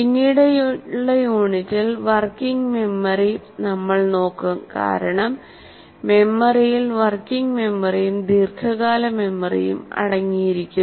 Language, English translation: Malayalam, We will look at working memory in the later unit because memory consists of working memory and long term memory